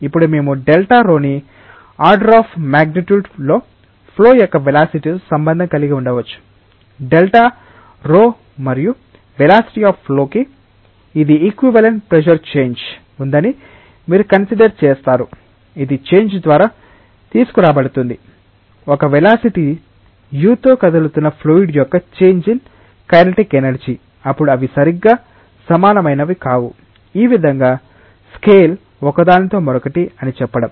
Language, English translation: Telugu, Now, we can relate delta p with the velocity of flow in a order of magnitude sense, the delta p and the velocity of flow this is just like if you consider that there is equivalent pressure change, which is brought about by the change in kinetic energy of fluid which is moving with a velocity u then this is not that they are exactly equal it is just to say that one scales with the other in this way